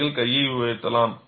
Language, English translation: Tamil, You can raise your hand